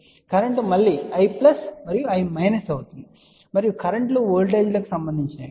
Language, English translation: Telugu, So, current will be again I plus and I minus and the currents are related to the voltages